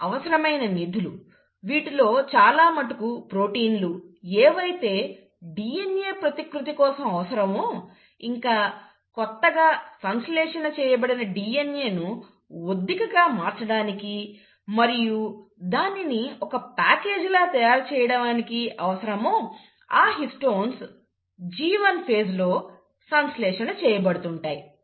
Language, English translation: Telugu, So the building blocks, a lot of these proteins which are necessary for the process of DNA replication, also for compacting the newly synthesized DNA, for the packaging of the newly synthesized DNA, which is the histones are getting synthesized in the G1 phase